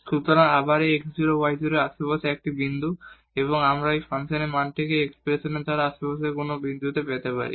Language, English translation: Bengali, So, again this is a point in the neighborhood of this x 0 y 0 and we can get this function value at this some other point in the neighborhood by the by this expression here